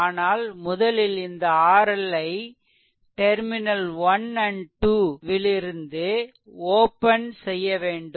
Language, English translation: Tamil, But, first you have to open this R L from terminal 1 and 2